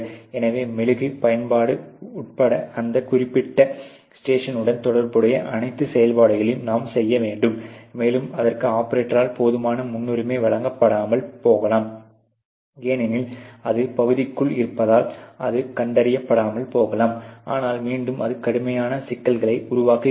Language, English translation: Tamil, So, you have to do all operations associated with that particular station including the wax application, and that may not be given enough priority by the operator, because obviously, it is inside the area and it may go undetected, but again it create severe problems or severe impacts on the overall qualities